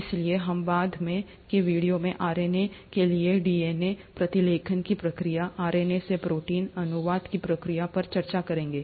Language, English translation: Hindi, so we will discuss DNA to RNA, the process of transcription, RNA to protein, the process of translation, in subsequent videos